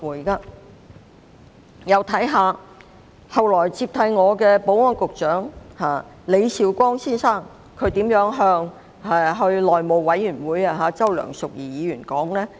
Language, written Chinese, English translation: Cantonese, 再看看後來接替我的保安局局長李少光先生在內務委員會對周梁淑怡議員的說法。, Let us then turn to what Mr Ambrose LEE the Secretary for Security who succeeded me said to Mrs Selina CHOW in the House Committee